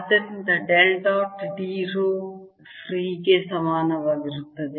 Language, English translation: Kannada, so del dot d is equal to rho free